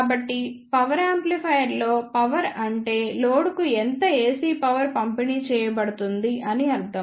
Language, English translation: Telugu, So, in power amplifier the power means that how much AC power is delivered to the load